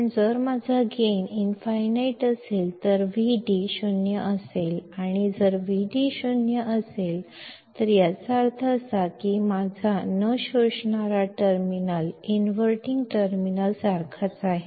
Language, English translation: Marathi, But if my gain is infinite, then Vd will be 0 and if Vd is 0, that means, my non inventing terminal is same as the inverting terminal